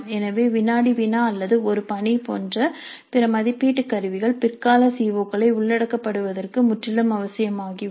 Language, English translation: Tamil, So, the other assessment instruments like a quiz or an assignment would become absolutely essential to cover the later COS